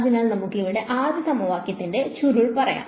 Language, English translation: Malayalam, So, we can take let us say the curl of the first equation over here right